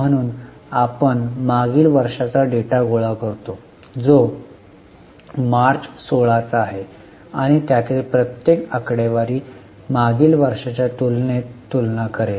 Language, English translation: Marathi, So, we collect the data of last year, that is March 16 and each of the figures will compare with earlier year